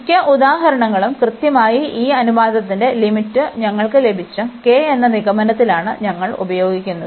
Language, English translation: Malayalam, And most of the examples exactly we use this conclusion that this j k, which we got after this limit of this ratio